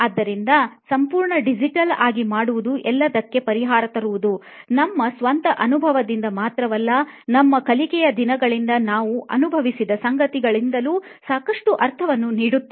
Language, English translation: Kannada, So bringing everything, making the entire experience digital makes a lot of sense not only from our own experience but also from what we have seen through our learning days